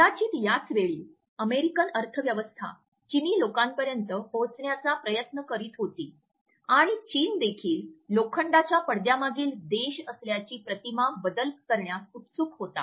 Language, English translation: Marathi, It was perhaps around this time that the US economy was trying to reach the Chinese people and China also was eager to shut this image of being a country behind in iron curtain